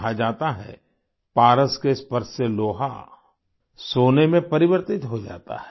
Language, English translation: Hindi, It is said that with the touch of a PARAS, iron gets turned into gold